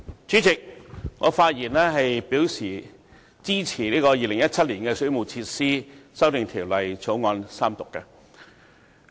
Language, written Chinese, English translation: Cantonese, 主席，我發言支持《2017年水務設施條例草案》的三讀。, President I speak to support the Third Reading of the Waterworks Amendment Bill 2017 the Bill